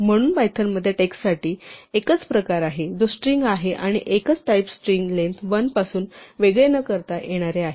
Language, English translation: Marathi, So, there is only one type for text in python, which is string, and a single character is indistinguishable from a string of length 1